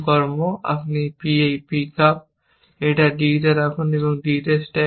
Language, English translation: Bengali, You just pick up b and stack on to d